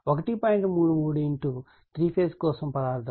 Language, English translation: Telugu, 333 into material for the three phase